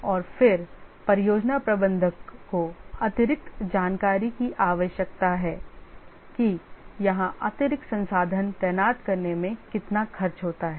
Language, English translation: Hindi, And then the project manager needs additional information that deploying additional resources here costs how much